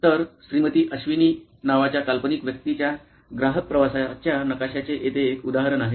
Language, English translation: Marathi, So, here is an example of a customer journey map of fictional personality called Mrs Avni, okay